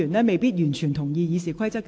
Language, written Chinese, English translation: Cantonese, 我一直嚴格按照《議事規則》行事。, I have always acted strictly in accordance with RoP